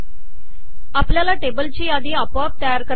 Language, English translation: Marathi, We can create a list of tables automatically